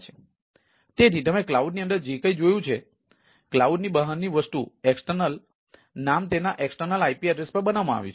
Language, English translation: Gujarati, so when we go to the outside the cloud, then the external name is mapped to the external ip address